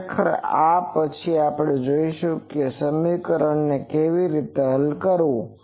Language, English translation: Gujarati, Actually we will see later that how to solve this equation ok